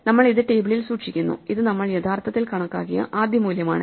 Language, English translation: Malayalam, So, we store this in the table, this is the first value we have actually computed